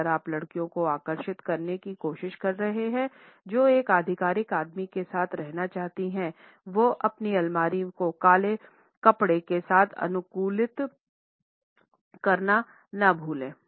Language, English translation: Hindi, If you are trying to attract girls who want to be with an authoritative man, then do not forget to customize your wardrobe with black clothes